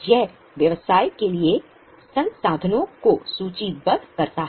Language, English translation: Hindi, It lists out the resources for the business